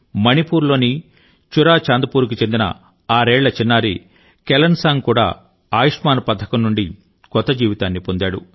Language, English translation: Telugu, Kelansang, a sixyearold child in ChuraChandpur, Manipur, has also got a new lease of life from the Ayushman scheme